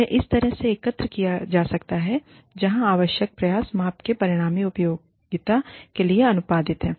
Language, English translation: Hindi, They can be collected in a way, where the effort required is, proportional to the resulting usefulness of the measure